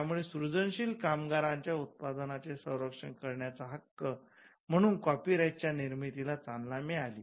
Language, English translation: Marathi, So, that itself triggered the emergence of copyright as a right to protect the products of creative labour